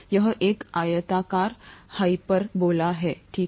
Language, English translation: Hindi, It’s a rectangular hyperbola, okay